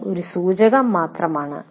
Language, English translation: Malayalam, This is only an indicative one